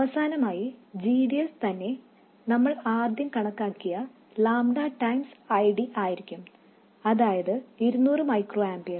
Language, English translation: Malayalam, And finally, GDS itself would be lambda times ID that we originally calculated which is 200 microamperes